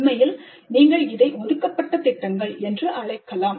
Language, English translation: Tamil, Actually you can call this assigned projects